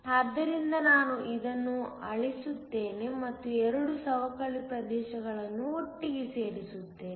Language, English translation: Kannada, So, let me just erase this and join the 2 depletion regions together